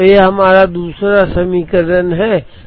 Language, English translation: Hindi, So, this is our second equation which is this